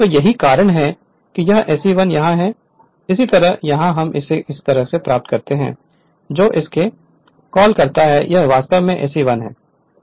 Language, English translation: Hindi, So, that is that is why this SE 1 is here so similarly here it is we have derived it from that your what you call from this one this is actually SE 1